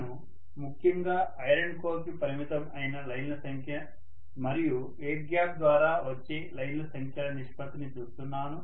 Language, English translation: Telugu, I am essentially looking at the ratio of the number of lines confining themselves to the iron core and the number of lines that are coming through the air gap